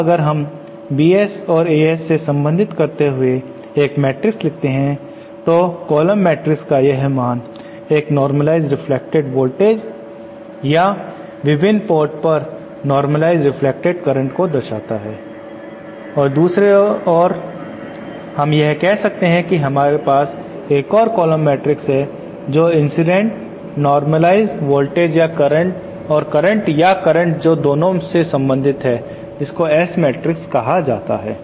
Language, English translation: Hindi, Now if we write a matrix relating the Bs to the As like this so these are the value this column matrix represents the reflect a normalized reflective voltages or normalized reflected currents at the various ports and say at the other end we have another column matrix representing the incident normalized voltages and currents or currents in the matrix that relates the 2 is called a S matrix